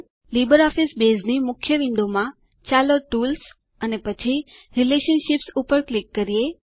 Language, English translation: Gujarati, In the Libre Office Base main window, let us click on Tools and then click on Relationships